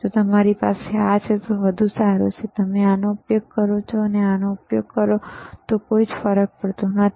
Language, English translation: Gujarati, Iif you don t have and you have this one, better right, does not matter, whether you use this one or this one